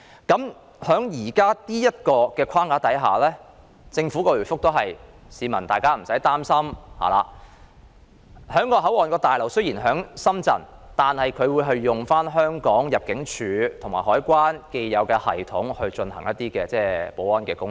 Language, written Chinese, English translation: Cantonese, 據政府回覆，在現時的框架下，市民無需擔心，因為雖然旅檢大樓設於深圳，但會使用香港入境事務處和海關的既有系統進行保安工作。, According to the Governments reply under the existing framework people need not worry about all this because even though the passenger clearance building is located in Shenzhen the existing systems of the Hong Kong Immigration Department and the Hong Kong Customs and Excise Department are to be used for handling security work